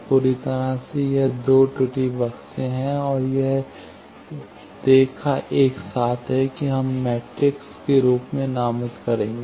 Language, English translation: Hindi, This whole, this two error box is and this line together that we are will designate as an L matrix